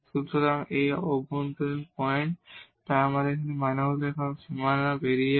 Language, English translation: Bengali, So, this interior points, so that means, leaving the boundary now